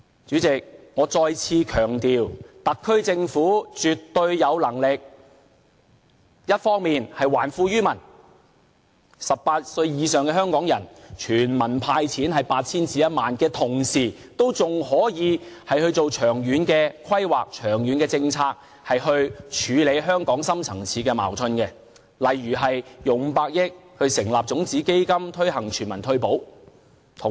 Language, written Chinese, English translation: Cantonese, 主席，我再次強調特區政府絕對有能力，一方面還富於民，向18歲以上的香港人全民"派錢 "8,000 元至1萬元；另一方面，同時仍可以進行長遠規劃和政策，以處理香港的深層次矛盾，例如撥款500億元成立種子基金，推行全民退保。, All of these are evidenced by the naked figures displayed in front of us . Chairman I have to reiterate that the SAR Government has the ability to return wealth to the people on the one hand by handing out 8,000 to 10,000 to Hong Kong residents at the age of 18 or above; and at the same time it may also formulate a long - term planning and policy to deal with Hong Kongs deep - rooted conflicts such as allocating 50 billion to set up a seed fund to promote the universal retirement protection scheme on the other